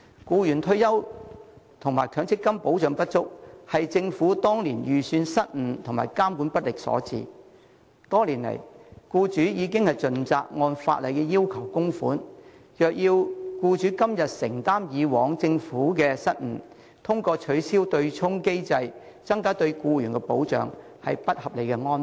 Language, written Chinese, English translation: Cantonese, 僱員退休及強積金保障不足，是政府當年預算失誤及監管不力所致，多年來，僱主已盡責按法例要求供款，若要僱主今天承擔以往政府的失誤，通過取消對沖機制來增加對僱員的保障，是不合理的安排。, The lack of retirement and MPF protection for employees is caused by the Governments then miscalculation and its ineffective regulation . Over the years employers have fulfilled their duty of making contributions in accordance with the statutory requirements . It is an unreasonable arrangement to require employers to shoulder the responsibility for the Governments past mistakes and enhance the protection for employees through an abolition of the offsetting mechanism today